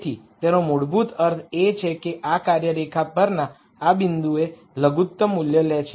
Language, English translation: Gujarati, So, that basically means this function takes a lower value at this point on the line